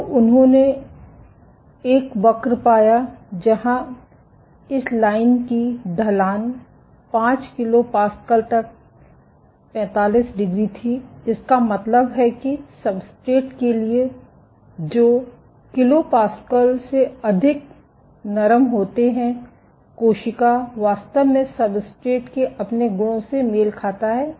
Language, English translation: Hindi, So, he found a curve where the slope of this line was 45 degree till 5 kPa, this means that for substrates which are softer than 5 kPa the cell actually matches its own properties to that of a substrate